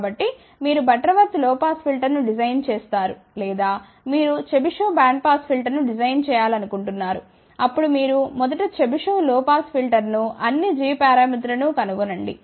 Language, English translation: Telugu, So, you design a Butterworth low pass filter or you want to design a chebyshev bandpass filter, then you design first chebyshev low pass filter find all the g parameters